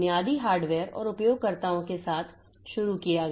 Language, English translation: Hindi, So, started with the basic hardware and the users